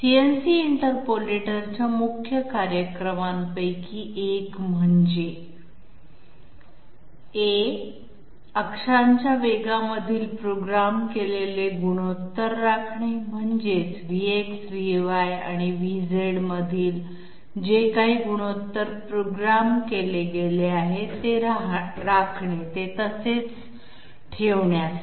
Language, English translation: Marathi, One of the main functions of the CNC interpolator is to Maintain programmed ratios between axes speeds that means maintain whatever ratio between V x, V y and V z has been programmed to maintain that